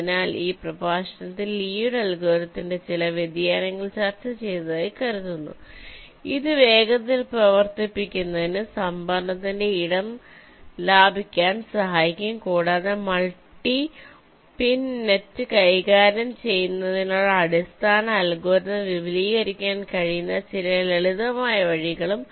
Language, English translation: Malayalam, so i think, ah, in this lecture we have discussed ah, some of the variations of lees algorithm which can help it to save space in terms of storage, to run faster, and also some simple way in which you can extend the basic algorithm to handle multi pin nets